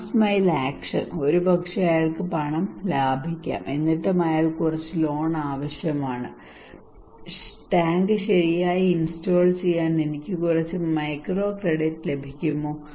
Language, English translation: Malayalam, Last mile action maybe he has money savings, but still he needs some loan, can I get some microcredit to install the tank right